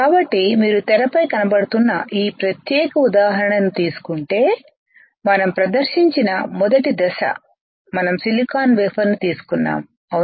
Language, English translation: Telugu, So, if you take this particular example which is on your screen the first step that we performed is we took a silicon wafer right